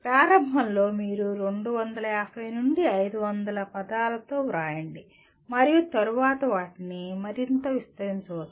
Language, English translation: Telugu, Initially you write 250 to 500 words and maybe later they can be further expanded